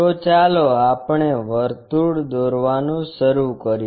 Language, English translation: Gujarati, So, let us begin constructing a circle